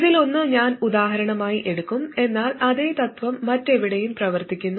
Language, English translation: Malayalam, I will take one of these as example, but exactly the same principle works for anything else